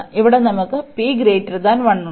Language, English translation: Malayalam, And here we have the p greater than 1